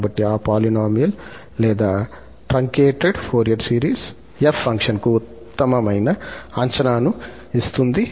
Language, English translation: Telugu, So that polynomial or that truncated Fourier series will give the best approximation to the function f